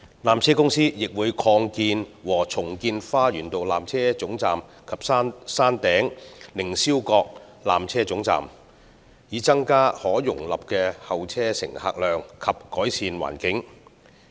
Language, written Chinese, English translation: Cantonese, 纜車公司亦會擴建和重建花園道纜車總站及山頂凌霄閣纜車總站，以增加可容納的候車乘客量及改善環境。, PTC will also implement expansion and redevelopment projects at the Lower Terminus at Garden Road and the Upper Terminus at the Peak with a view to increasing the capacity of the waiting areas and improving the waiting environment